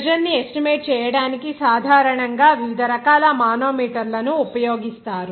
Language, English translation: Telugu, There are various types of manometers are generally used to estimate the pressure